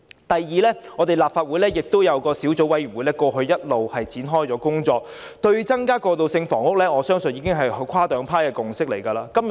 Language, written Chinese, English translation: Cantonese, 第二，我們立法會亦有一個小組委員會，過去一直展開工作，對於增加過渡性房屋，我相信已有跨黨派共識。, We will not be able to achieve our goal . Second this Council also has a subcommittee that has been working on this matter . I believe that we have cross - party consensus on increasing transitional housing